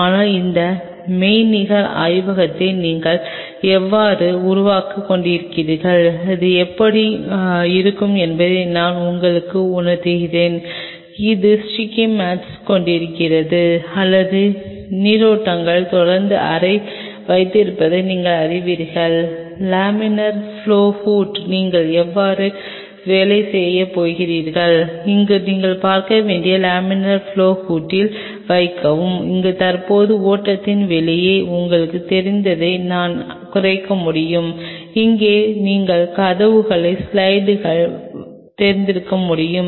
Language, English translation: Tamil, But I am kind of making you feel as we are developing this virtual lab how it will look like, that have the sticky mats have the wind or the currents have the room continuously you know circulating it, how you are going to work on the laminar flow hood, where you should look put the laminar flow hood where you can I minimize the you know outside current flow, where you can have you know slide in doors